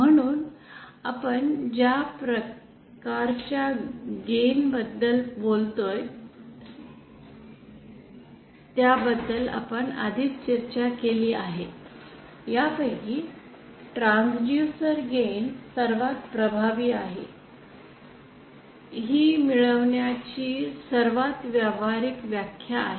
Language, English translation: Marathi, So already we have discussed about the various types of gain that we talk about, among them the transducer gain is the most effective; it is the most practical definition of gain